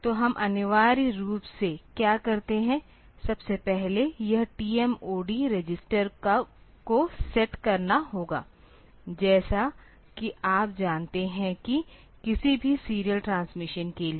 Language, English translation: Hindi, So, what we essentially do is, first of all this T MOD register has to be set, as you know that for any serial transmission